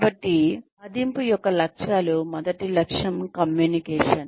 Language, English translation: Telugu, So, the aims of appraisals are, the first aim is communication